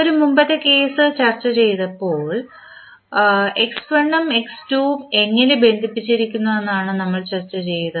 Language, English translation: Malayalam, So just previous case when we discussed, we discuss that how x1 and x2 related